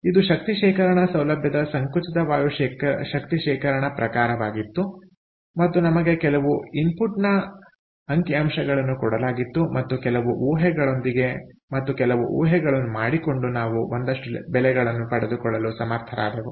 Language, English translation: Kannada, so, this was a compressed air energy storage type of a facility, energy storage facility, and we even some input conditions and some assumptions and making some assumptions, we are able to get some values